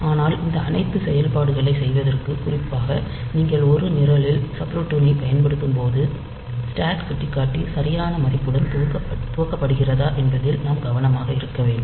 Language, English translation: Tamil, But for doing all these operations, for particularly when you are using subroutines in a program, we have to be careful that the stack pointer is initialized to proper value